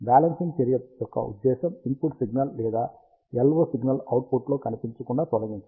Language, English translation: Telugu, The purpose of balancing action is to remove either the input signal or the LO signal from appearing into the output